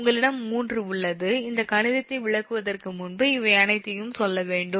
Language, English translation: Tamil, because before explaining all these mathematics, i have to tell you all these